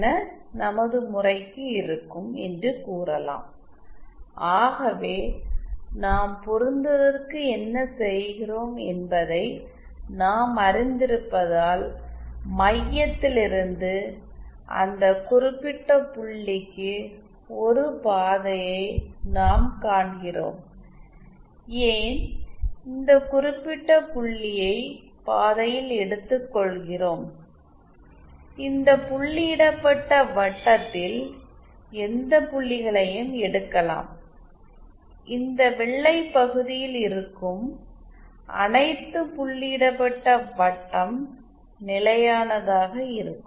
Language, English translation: Tamil, So as we know for matching what we do we find a path from the center to that particular point, and why take this particular point by the way, we should have taken any of the points along this dotted circle and all the points of this dotted circle which lie in this white region will be stable